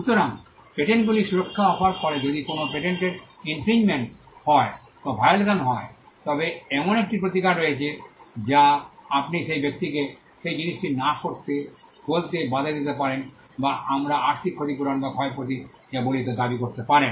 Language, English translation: Bengali, So, patents offer protection if there is infringement or violation of a patent, there is a remedy you can stop the person from asking him not to do that thing or you can claim what we call monetary compensation or damages